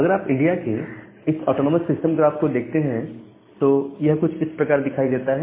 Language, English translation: Hindi, And if you look into this autonomous system graph for India it looks something like this